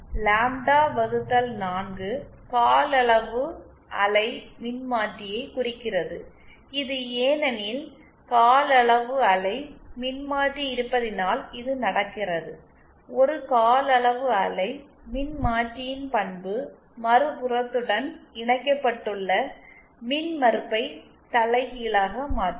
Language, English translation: Tamil, Since lambda by 4 implies a quarter wave Transformer, what this does is, because of the presence of a quarter wave Transformer, the property of a quarter wave Transformer that it can invert the impedance that is connected to the other end